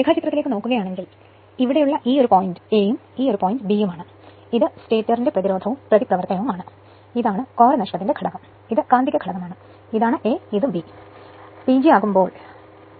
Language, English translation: Malayalam, If you look into the diagram, this one point is here a and b right and this side this part your what you call, and this is your stator resistance and reactance, this is your core loss component and this is the magnetizing component and this is a and this is b; when you make P G by 3